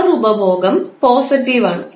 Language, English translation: Malayalam, The power consumption is positive